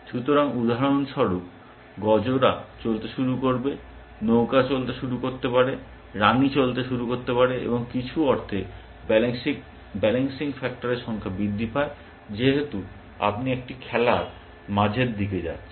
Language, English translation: Bengali, So, for example, bishops can start moving, cooks can start moving, the queen can start moving, and the number of the balancing factor in some sense increases, as you go towards a middle game essentially